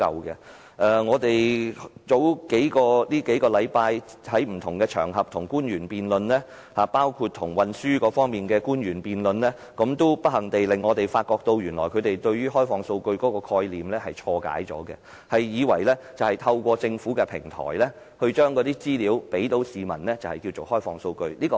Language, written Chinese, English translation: Cantonese, 數星期前，我們在不同場合與官員辯論，包括與運輸方面的官員辯論，不幸地，我們發覺他們誤解了開放數據的概念，以為透過政府的平台將資料提供予市民便是開放數據。, Several weeks ago we had a few chances in different venues to discuss with public officers including those on transport . Regrettably in the discussion we found that they misunderstood the concept of open data . They think that open data is to provide information to the public through government portals